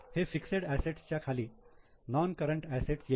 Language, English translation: Marathi, So, this is under fixed assets, under non current assets